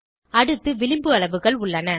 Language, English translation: Tamil, Next, we have margin sizes